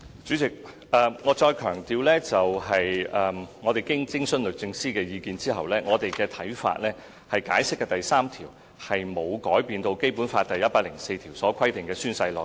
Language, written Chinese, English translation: Cantonese, 主席，我要強調，經徵詢律政司意見後，我們的看法是《解釋》的第三條沒有改變《基本法》第一百零四條所規定的宣誓內容。, President I have to emphasize that upon consulting the Department of Justice DoJ we hold that Article 3 of the Interpretation has not changed the oath content stipulated under Article 104 of BL